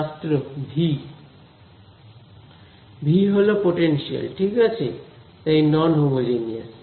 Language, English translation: Bengali, V the potential right; so, it is non homogeneous